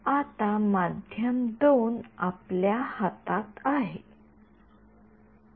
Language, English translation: Marathi, Now, medium 2 is in our hands